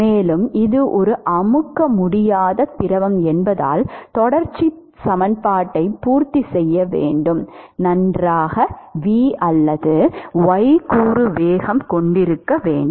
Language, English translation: Tamil, And because it is an incompressible fluid you must have well v or y component velocity in order to satisfy the continuity equation